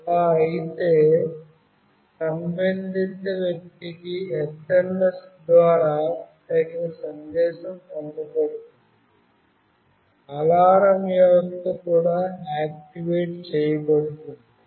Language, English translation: Telugu, And if so, a suitable message is sent to the concerned person over SMS, an alarm system is also activated